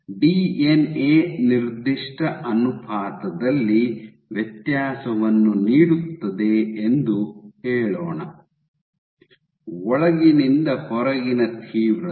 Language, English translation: Kannada, So, let us say the DNA is giving a vary, a given ratio, intensity of inside to outside